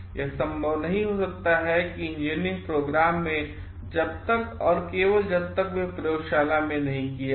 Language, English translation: Hindi, This may not be possible in engineering experiments until and unless they are carried out in laboratory